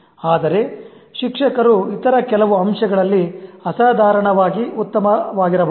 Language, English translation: Kannada, But the teacher is extraordinarily good in certain other aspects